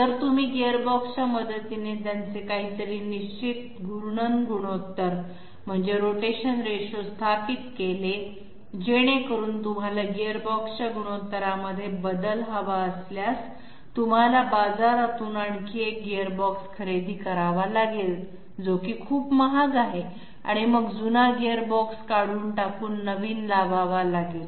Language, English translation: Marathi, If you establish their rotational ratio with the help of gearbox okay if you establish the rotational ratio with the help of gearbox it is something fixed, so that you want a change in the gearbox ratio, you might have to go to the market, buy another yet another of those Gearboxes which are quite expensive and remove the previous one and put the present one in